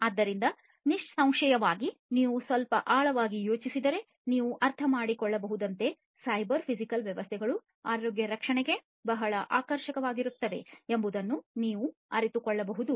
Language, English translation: Kannada, So, obviously, as you can understand if you think a little bit in deep you will be able to realize that cyber physical systems will be very attractive of use for healthcare, right